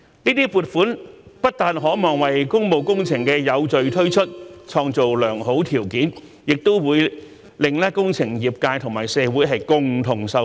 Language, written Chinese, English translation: Cantonese, 這些撥款不但可望為工務工程的有序推出創造良好條件，也會令工程業界和社會共同受惠。, Not only are these allocations expected to create good conditions for the orderly implementation of public works projects but they will also benefit both the engineering industry and the community